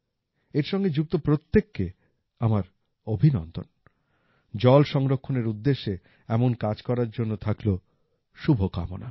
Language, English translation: Bengali, I congratulate everyone involved in this and wish them all the best for doing similar work for water conservation